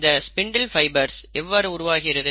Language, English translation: Tamil, How are the spindle fibres made